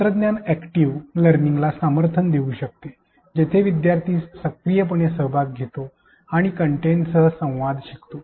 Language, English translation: Marathi, Technology can support active learning where the learner actively participates and interacts with the content